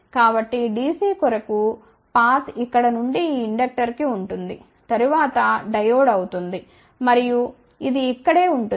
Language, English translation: Telugu, So, the path for dc will be from here to to this inductor, then Diode and it will be right over here ok